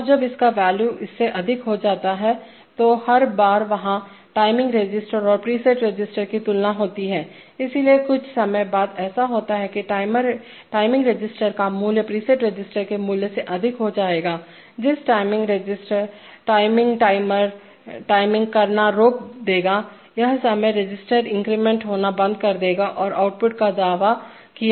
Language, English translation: Hindi, And when its value exceeds that, every time there is a, there is a comparison between the timing register the preset register, so after some time what will happen is that the timing register value will exceed the preset register value at which time the timer will stop timing further, that is the timing register will stop incrementing and the output will be asserted